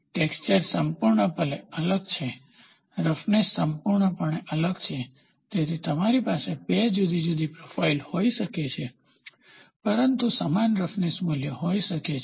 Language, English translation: Gujarati, The textures are completely different, the roughness is completely different, so you can have 2 different profiles, but have the same roughness value